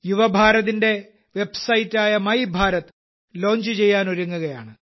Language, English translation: Malayalam, Mera Yuva Bharat's website My Bharat is also about to be launched